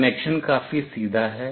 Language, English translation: Hindi, The connection is fairly straightforward